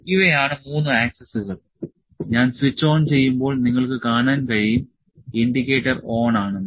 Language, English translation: Malayalam, This is these are the three axis when I switch on, you can see that the indicator is on